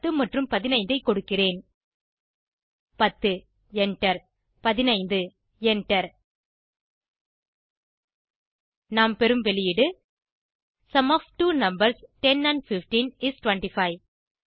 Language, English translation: Tamil, Type 10, press Enter Type 15 and press Enter We get the output as Sum of two numbers 10 and 15 is 25